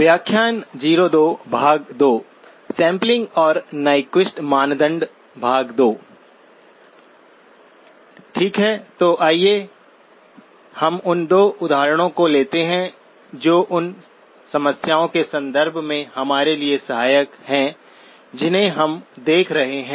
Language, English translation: Hindi, Okay, so let us take couple of examples which are helpful for us in the context of the problems that we are looking at